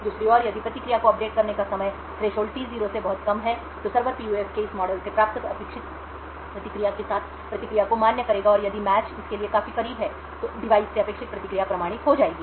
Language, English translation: Hindi, On the other hand, if the time to update the response is very short much lesser than the threshold then the server would validate the response with the expected response obtained from this model of the PUF, and if the match is quite closed to this to the expected response than the device would get authenticated